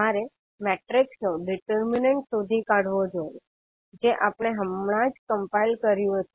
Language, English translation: Gujarati, You have to just find out the determinant of the matrix which we have just compiled